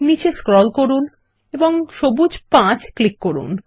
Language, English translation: Bengali, Scroll down and click on Green 5